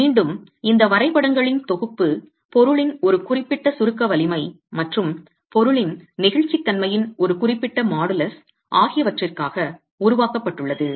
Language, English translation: Tamil, Again, this set of graphs have been made for a certain compressive strength of the material and a certain modulus of elasticity of the material